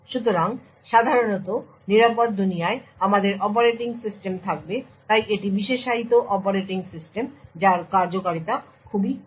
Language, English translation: Bengali, So, typically we would have operating system present in the secure world so this are specialized operating systems which have very minimal functionality